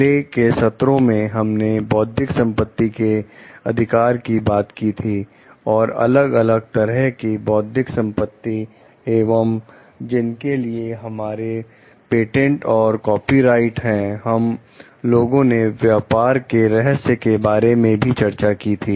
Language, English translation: Hindi, In the earlier sessions we have discussed about intellectual property rights, the different types of intellectual properties and for which we have patents, maybe copyrights, we have discussed about trade secrets also